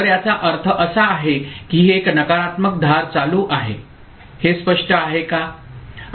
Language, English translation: Marathi, So that means it is a negative edge triggered is it clear